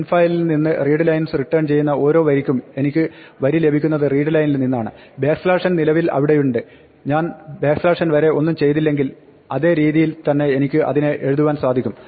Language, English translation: Malayalam, Now, for each line in returned by readlines on infile, remember that when I get line from readline the backslash n is already there, if I do not do anything to the backslash n, I can write it out the exactly the same way